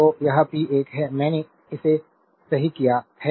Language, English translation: Hindi, So, this is p 1 I have corrected that